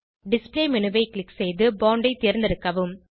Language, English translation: Tamil, Click on the Display menu and select Bond